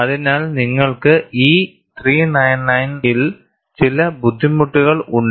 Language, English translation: Malayalam, So, you have certain difficulties in E 399